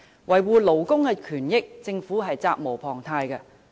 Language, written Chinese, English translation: Cantonese, 維護勞工權益，政府責無旁貸。, The Government is duty - bound to protect labour rights and benefits